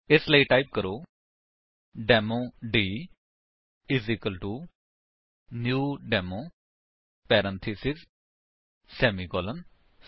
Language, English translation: Punjabi, So, type: Demo d=new Demo parentheses semicolon